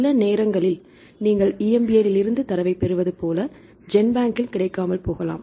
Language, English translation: Tamil, Sometimes you get the data from EMBL may not be available in GenBank